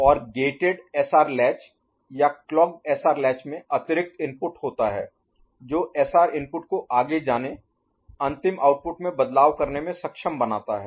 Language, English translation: Hindi, And in gated SR latch or clocked SR latch there is additional input which enables SR input to go pass through, make changes in the final output